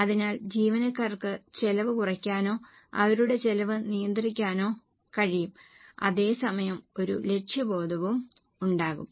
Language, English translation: Malayalam, So, employees will be able to cut down on costs or control their costs and at the same time there will be a goal orientation